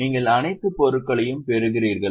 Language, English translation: Tamil, Are you getting all the items